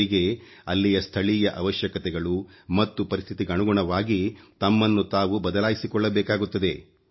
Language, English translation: Kannada, They have to mould themselves according to the local needs and environment